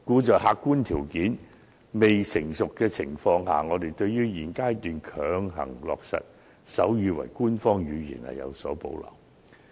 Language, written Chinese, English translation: Cantonese, 在客觀條件未成熟的情況下，我們對於在現階段強行落實手語為官方語言，有所保留。, Given that objective criteria are not well - developed we have reservation about make sign language an official language at this stage